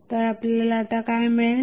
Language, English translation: Marathi, So, what we get